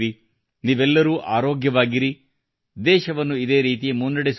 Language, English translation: Kannada, May all of you stay healthy, keep the country moving forward in this manner